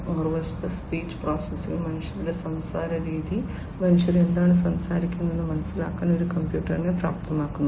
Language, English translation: Malayalam, Speech processing, on the other hand, is enabling a computer to understand, the way humans speak, what the humans are speaking